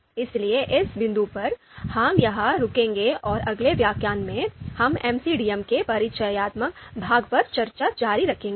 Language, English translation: Hindi, So at this point, we will stop here and in the next lecture, we will continue about discussion on the introductory part of MCDM